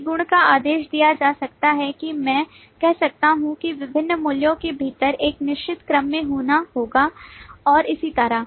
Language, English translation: Hindi, A property could be ordered, that I can say that within different values will have to occur in a certain order, and so on